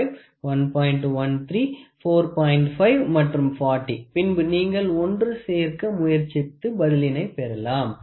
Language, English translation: Tamil, 5 and 40 you can try to assemble and then try to get answer for it